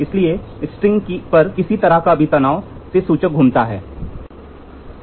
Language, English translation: Hindi, Therefore, any pull on the string will cause the pointer to rotate